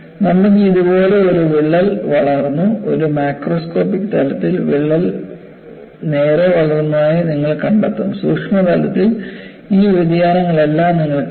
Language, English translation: Malayalam, So, you have a crack grown like this; at a macroscopic level, you will find the crack has grown straight; at the microscopic level you will see all these variations